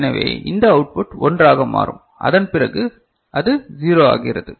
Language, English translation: Tamil, So, this output will become 1 right, after that it becomes 0